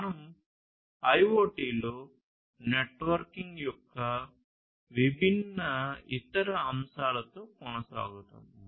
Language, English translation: Telugu, We will continue with the different other aspects of networking in IoT